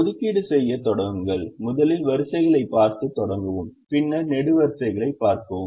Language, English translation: Tamil, start making assignments, first start by looking at the rows and then look at the columns, and so on